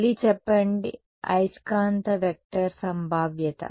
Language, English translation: Telugu, Say again, the magnetic vector potential is